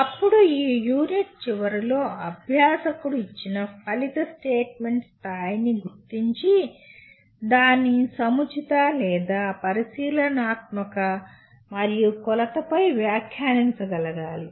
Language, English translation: Telugu, Then at the end of this unit the learner should be able to identify the level of a given outcome statement and comment on its appropriateness or observability and measurability